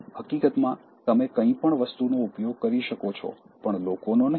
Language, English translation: Gujarati, In fact, you can use anything but not people